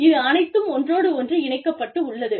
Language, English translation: Tamil, So, all of this is sort of, it all ties in with each other